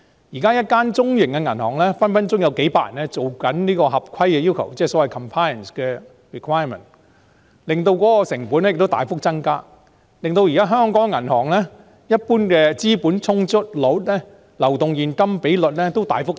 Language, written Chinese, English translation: Cantonese, 現時，一間中型銀行隨時有數百人負責合規要求的工作，即 compliance requirement， 使成本大幅增加，令香港銀行的資本充足率、流動現金比率大幅提升。, At present it is not uncommon for a medium bank to have hundreds of staff to deal with compliance requirements hence a big cost hike . Consequently the capital adequacy ratios and liquidity ratios of the banks in Hong Kong have increased considerably